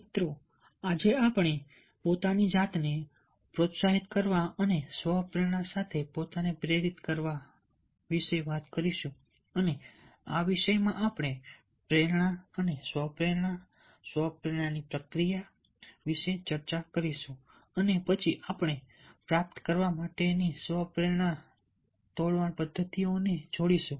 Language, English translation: Gujarati, ah, friends, today we will be talking about motivating oneself, in motivating oneself with the self motivation, and in this topic we will discuss about motivation and self motivation, self motivational process, and then we will link the self motivation to break mechanisms, to derive certain strategies to motivate yourself